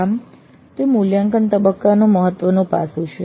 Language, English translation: Gujarati, So that is the important aspect of the evaluate phase